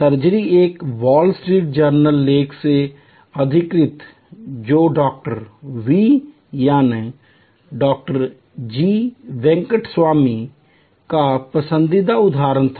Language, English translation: Hindi, surgery, quoting from a Wall Street Journal article which was a favorite quote of Dr, V